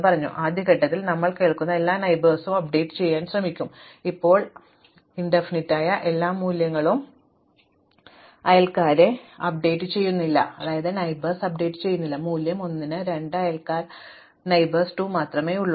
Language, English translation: Malayalam, Now, we will, in the first step, try to update all neighbors of things that were here, now all values which are infinity do not update the neighbors, but the value 1 will it has 2 neighbors 2 and 8